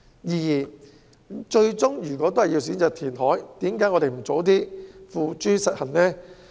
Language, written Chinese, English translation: Cantonese, 如果最終也是選擇填海，為何我們不早些付諸實行？, If reclamation is the final choice why should we not implement it earlier?